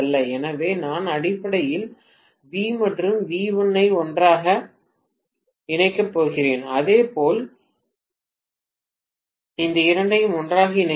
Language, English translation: Tamil, So I am going to connect basically V and V1 together, right similarly, these two together